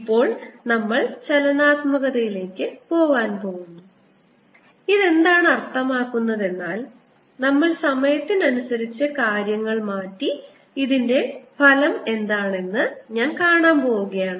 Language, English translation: Malayalam, now we are going to go into dynamics and what that means is we are going to change things with time and see what is the effect of this